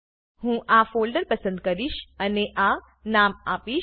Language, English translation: Gujarati, I will choose this folder and give this name